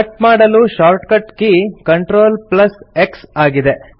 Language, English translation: Kannada, The shortcut key to cut is CTRL+X